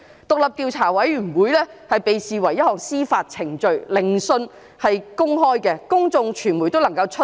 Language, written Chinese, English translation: Cantonese, 獨立調查委員會被視為一項司法程序，聆訊是公開的，公眾和傳媒都能夠出席。, A commission of inquiry is regarded as a judicial proceeding . Its hearings are held in public and open to members of the public and the media